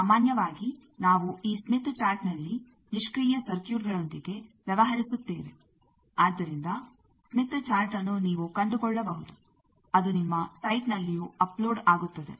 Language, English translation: Kannada, Generally we deal with passive circuits in this smith chart, so smith chart you can find out it will be uploaded in your site also